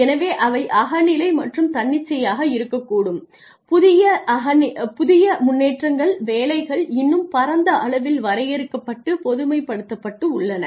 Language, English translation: Tamil, So, they could be subjective and arbitrary they could be with new developments jobs have become more broadly defined and generalized